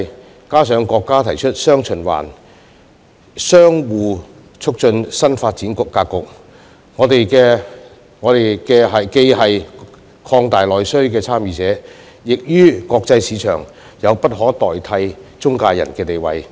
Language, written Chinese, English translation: Cantonese, 再加上國家提出"雙循環"相互促進新發展格局，我們既是擴大內需的參與者，於國際市場亦有着不可替代的"中介人"地位。, Coupled with the fact that the country has put forward the new development pattern featuring dual circulation which enables domestic and foreign markets to interact positively with each other we have therefore become the participant in the expansion of domestic demand and an irreplaceable intermediary in the international markets